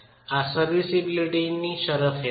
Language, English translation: Gujarati, This is under serviceability conditions